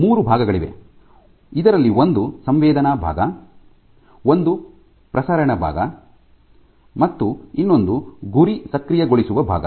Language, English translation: Kannada, So, there are three parts of this one is the sensing part, one is the transmission part and the target activation part